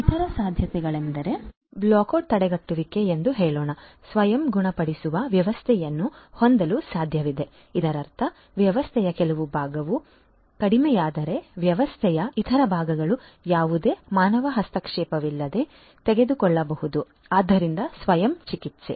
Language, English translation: Kannada, Other possibilities are to have different features of let us say black out prevention, it is possible to have self healing system that means, that if some part of the system goes down there are other parts of the system that can take over without any human intervention so self healing